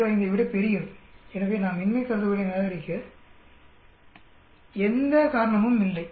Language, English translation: Tamil, 05, so there is no reason to reject the null hypothesis